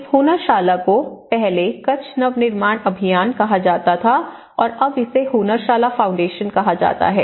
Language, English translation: Hindi, Earlier, the present Hunnarshala, itís called Kutch Nava Nirman Abhiyan and now it is called Hunnarshala Foundation